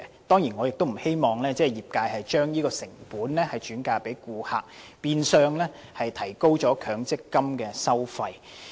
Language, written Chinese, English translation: Cantonese, 當然我亦不希望業界將有關成本轉嫁顧客，變相提高強積金的收費。, I certainly do not wish to see the industry transfer the costs onto customers which will in effect raise the fees of MPF